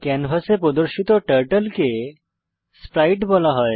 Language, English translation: Bengali, Turtle displayed on the canvas is called sprite